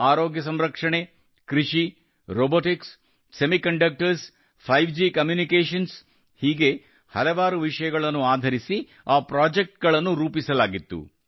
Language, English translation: Kannada, Healthcare, Agriculture, Robotics, Semiconductors, 5G Communications, these projects were made on many such themes